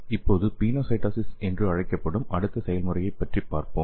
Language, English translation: Tamil, So let us see the next mechanism that is called as pinocytosis okay